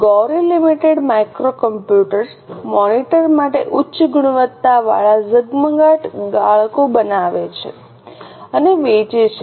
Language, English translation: Gujarati, Gauri Limited makes and sales high quality glare filters for micro computer monitors